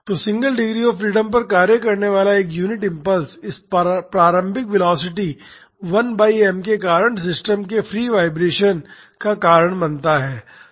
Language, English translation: Hindi, So, a unit impulse acting on the single degree of freedom system causes free vibration of the system due to this initial velocity 1 by m